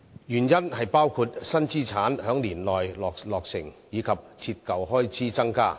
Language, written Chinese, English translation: Cantonese, 原因包括新資產在年內落成，以及折舊開支增加。, One reason for the net loss was the increased depreciation arising from the new assets launched in the year